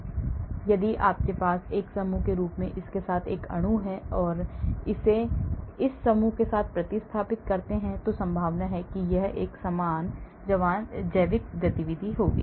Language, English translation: Hindi, so if you have a molecule with this as a group if I replace it with this group chances are it will have a similar biological activity